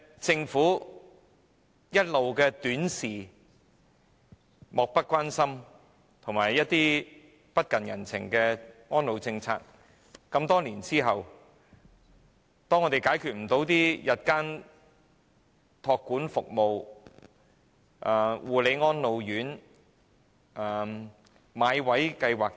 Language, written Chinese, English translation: Cantonese, 政府一直以短視、漠不關心及不近人情的態度處理安老政策，在多年之後也無法解決日間託管服務、護理安老院、"買位計劃"等問題。, The Government has been taking a short - sighted oblivious and uncompassionate attitude in dealing with the elderly care policy . After many years it is still unable to resolve the elderly problems concerning day care services care and attention homes for the elderly and the Enhanced Bought Place Scheme